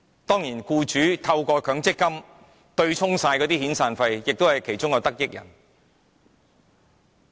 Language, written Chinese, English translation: Cantonese, 當然，僱主透過強積金對沖遣散費也是其中的得益人。, Of course employers who use MPF contributions to offset severance payment are also one of the beneficiaries